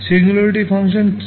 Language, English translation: Bengali, What is singularity functions